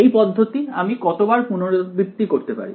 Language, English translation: Bengali, How many times can I repeat this process